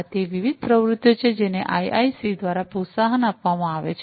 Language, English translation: Gujarati, So, these are the ones these are the different activities that are promoted by the IIC